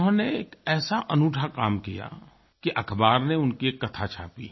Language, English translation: Hindi, He did something so different that the newspapers printed his story